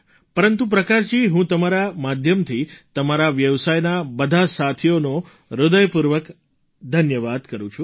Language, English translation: Gujarati, Prakash ji, through you I, thank all the members of your fraternity